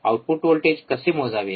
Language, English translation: Marathi, What are input voltage